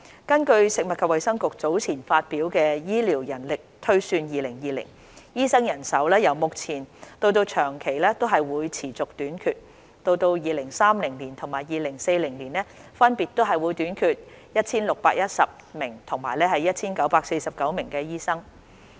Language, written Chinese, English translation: Cantonese, 根據食物及衞生局早前發表的《醫療人力推算2020》，醫生人手由目前到長期均會持續短缺。到2030年及2040年，分別會短缺 1,610 名和 1,949 名醫生。, According to the Healthcare Manpower Projection 2020 published by the Food and Health Bureau FHB earlier the shortage of doctors will remain in the long term with the projected shortfall of doctors reaching 1 610 and 1 949 in 2030 and 2040 respectively